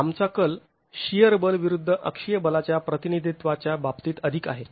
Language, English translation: Marathi, We tend to represent it more in terms of shear force versus axial force